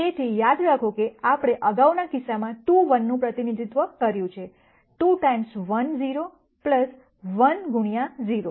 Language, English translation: Gujarati, So, remember we represented 2 1 in the previous case, as 2 times 1 0 plus 1 times 0 1